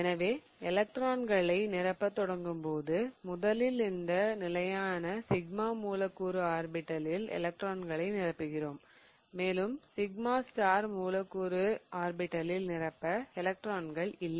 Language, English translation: Tamil, So, when we start filling electrons, we first fill the electrons in this stable sigma molecular orbital and we have no longer electrons left to fill in the sigma star molecular orbital